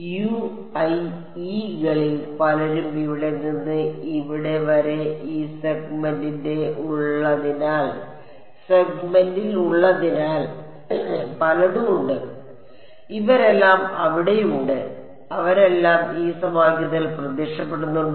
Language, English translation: Malayalam, As many of the U i e’s are there in this whole segment over here from here to here, there are various there is U 1 U 2 U 3 U 4 and U 5 all of these guys are there, do they all appear in this equation